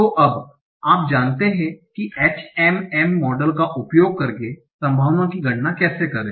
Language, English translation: Hindi, So now you know how to compute the probability by using the HMM kind of model